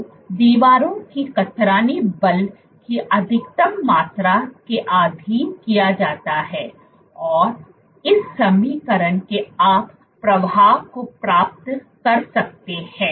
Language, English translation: Hindi, So, the walls are subjected to maximum amount of shear force and from this equation you can derive the flow